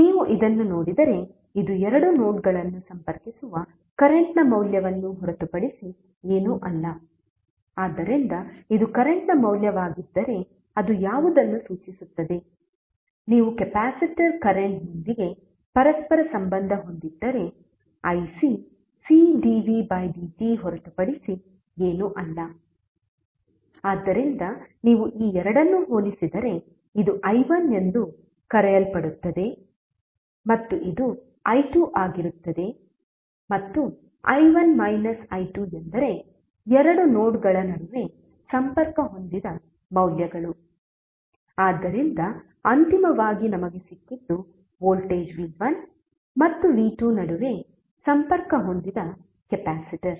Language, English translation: Kannada, If you see this, this is nothing but the value of the current which is connecting two nodes, so if this is the value of current it signifies what, if you correlate with capacitor current ic is nothing but C dv by dt, so if you compare this two this will be something called i1 this will be i2 and i1 minus i2 means the values which are connected between two nodes, so finally what we got is the capacitor which is connected between voltage v1 and v2